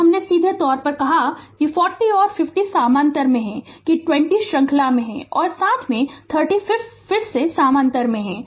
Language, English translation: Hindi, So, I have just put directly that 40 and 50 are in parallel with that 20 is in series and along with that 30 ohm again in parallel